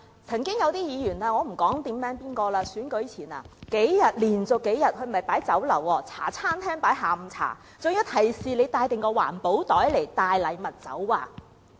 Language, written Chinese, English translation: Cantonese, 曾經有些議員——我不在此點名指出——在選舉前連續數天設宴，不是在酒樓，而是在茶餐廳設置下午茶，還提示街坊要帶備環保袋載禮物走。, Do these Members think they are distributing fewer cake coupons? . Some Members―I am not going to name them specifically―invited kaifongs to afternoon tea in a Hong Kong - style café not a restaurant for several days in a row before elections were held and the kaifongs were even reminded of bringing along their environmentally - friendly bags to carry their gifts